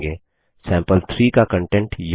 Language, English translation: Hindi, This is the content of sample3